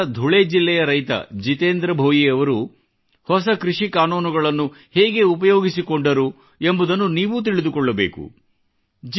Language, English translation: Kannada, You too should know how Jitendra Bhoiji, a farmer from Dhule district in Maharashtra made use of the recently promulgated farm laws